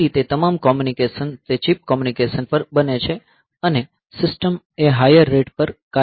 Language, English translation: Gujarati, So, that way all communications, they become on chip communication and the system operates at a higher rate